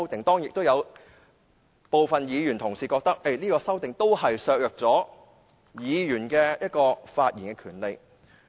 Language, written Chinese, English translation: Cantonese, 當然，亦有部分議員同事認為這項建議削弱了議員發言的權利。, Of course some Honourable colleagues held that such a proposal undermined Members right to speak